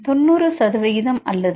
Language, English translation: Tamil, 90 percent or 0